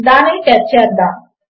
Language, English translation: Telugu, Lets test it out